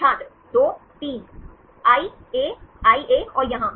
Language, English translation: Hindi, I, A, I A and here